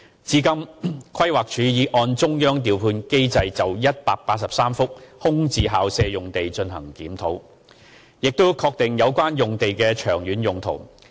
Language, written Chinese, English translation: Cantonese, 至今，規劃署已按中央調配機制就183幅空置校舍用地進行檢討，並確定有關用地的長遠土地用途。, Up till now PlanD has reviewed and confirmed the long - term uses of 183 VSP sites under the Central Clearing House mechanism